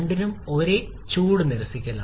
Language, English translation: Malayalam, Both are having same heat rejection